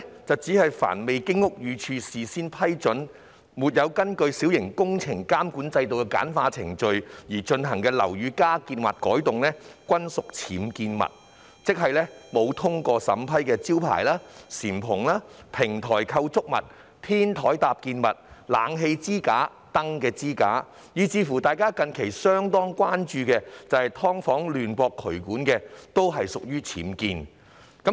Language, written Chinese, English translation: Cantonese, 定義上，"凡未經屋宇署事先批准或沒有根據小型工程監管制度的簡化程序而進行的樓宇加建或改動，均屬僭建物"，即沒有通過審批的招牌、簷篷、平台構築物、天台搭建物、冷氣機支架、燈支架，以至大家近日相當關注的"劏房"亂駁渠管，均屬僭建。, By definition any additions or alterations to buildings without the prior approval of the Buildings Department or not following the simplified procedures under MWCS are regarded as UBWs . In other words signboards canopies flat roof structures roof top structures supporting frames for air - conditioners lighting towers and drainage misconnections in subdivided units without prior approval are regarded as UBWs